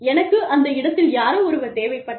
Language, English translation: Tamil, I needed somebody